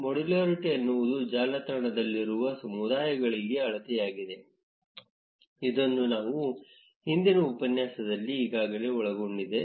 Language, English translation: Kannada, Modularity is the measure for communities in a network which we have already covered in the previous tutorial